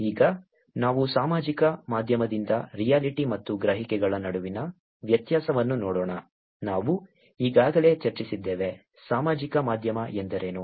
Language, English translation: Kannada, Now let us look at the difference between the reality and the perceptions from the social media, given that we have already discussed about, what social media is